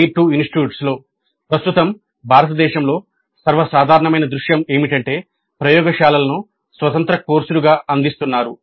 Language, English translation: Telugu, TITU's most common scenario in India at present is that laboratories are offered as independent courses